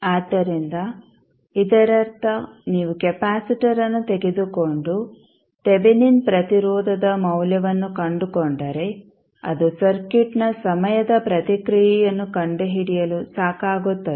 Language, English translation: Kannada, So, that means that if you take out the capacitor and find the value of Thevenin resistance, that would be sufficient to find the time response of the circuit